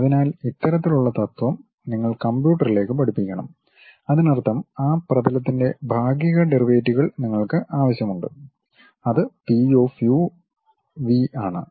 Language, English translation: Malayalam, So, this kind of principle you have to teach it to computer; that means, you require the partial derivatives of that surface which we are describing P of u comma v